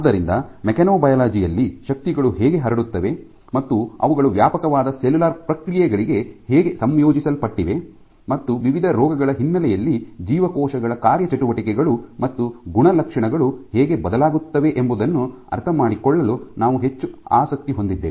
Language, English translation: Kannada, So, in this field of mechanobiology we are interested in understanding how forces get transmitted, and how they are integrated for range of cellular processes, and how in the context of various diseases the functioning and the properties of cells get altered